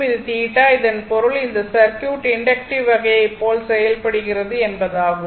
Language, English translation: Tamil, And this is theta, so that means, this circuit behave like inductive type